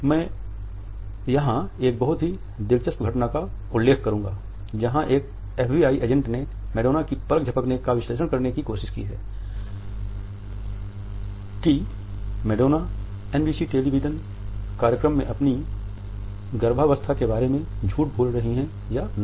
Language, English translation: Hindi, I would refer to a very interesting incident here where one FBI agent tried to analyze the eyelid fluttering of Madonna to see whether she was lying about her pregnancy on NBC television program